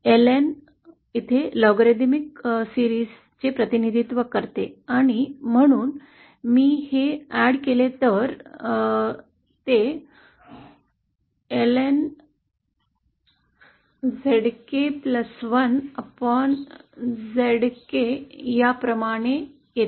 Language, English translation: Marathi, Ln here represents the logarithmic series & so if I just add this up it comes out to ln zk plus 1 upon zk